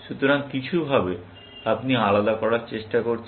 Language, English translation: Bengali, So, in some sense, you are trying to distinct